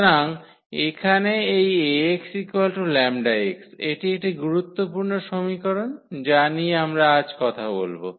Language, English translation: Bengali, So, here this Ax is equal to lambda x that is a very important equation which we will be talking about today